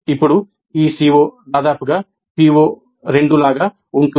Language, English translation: Telugu, Now this COO is almost like PO2